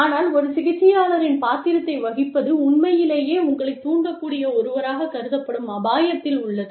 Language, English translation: Tamil, But, playing the role of a therapist, really puts you in danger, of being perceived as somebody, who can be swayed